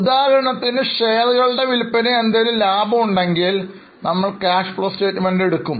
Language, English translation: Malayalam, For example, if there is any profit on sale of shares, we will take in cash flow statement